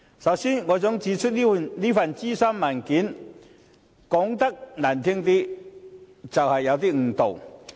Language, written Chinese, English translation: Cantonese, 首先，我想指出，這份諮詢文件說得難聽一點就是有少許誤導。, First of all I want to point out that to put it bluntly this consultation paper is somewhat misleading